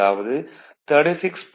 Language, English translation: Tamil, That is 36